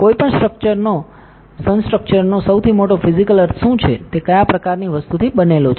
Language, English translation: Gujarati, What is the biggest physical meaning to any structure is the, what kind of material it is made up of